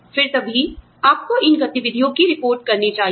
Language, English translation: Hindi, Then, there is, you know, only then, should you report these activities